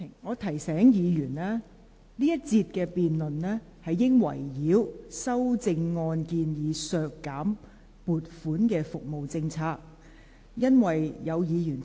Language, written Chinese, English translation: Cantonese, 我提醒委員，這一節的辯論應圍繞修正案建議削減撥款的服務的政策。, I remind Members that this debate should be on the policies of the services the funding for which the amendments propose to reduce